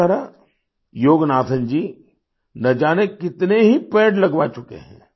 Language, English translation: Hindi, In this way, Yoganathanji has got planted of innumerable trees